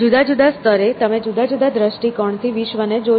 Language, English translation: Gujarati, So, at different levels you see the world with a different perspective